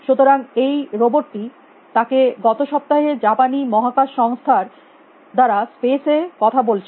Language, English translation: Bengali, So, this robot was saying him to space last week by the Japanese space agency